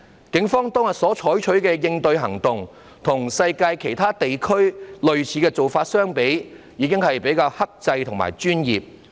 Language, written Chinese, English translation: Cantonese, 警方當天所採取的應對行動，與世界其他地區的類似做法相比，已經是比較克制和專業。, The response of the Police on that day was already quite restrained and professional compared with similar practices in other parts of the world